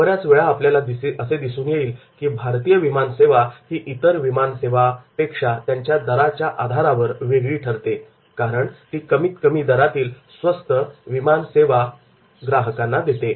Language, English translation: Marathi, So many time like in Indian aviation industry we will find the differentiation is on the cost basis, the low cost aviation industry